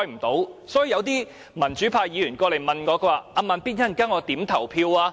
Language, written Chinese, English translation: Cantonese, 因此，一些民主派議員問我："'慢咇'，我稍後應該如何投票？, In this connection some pro - democracy Members have asked me Slow Beat tell me how I should vote later